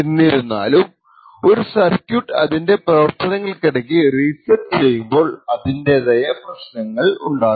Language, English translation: Malayalam, However, resetting the circuit in the middle of its operation has its own hurdles